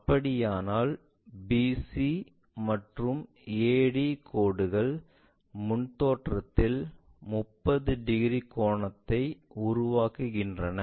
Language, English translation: Tamil, If that is the case, we see BC line, AD line coincides making an angle 30 degrees in the front view